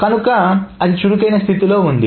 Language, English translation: Telugu, So this can be an active state